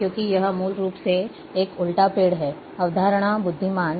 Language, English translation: Hindi, Because it is inverted tree basically, concept wise